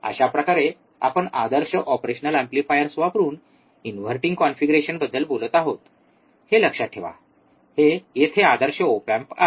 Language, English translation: Marathi, Thus we are talking about inverting configuration using ideal operational amplifier, mind it, here ideal op amp